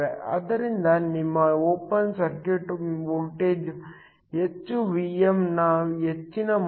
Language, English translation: Kannada, So, higher your open circuit voltage, higher the value of Vm